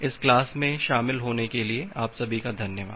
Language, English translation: Hindi, Thank you all for attending this class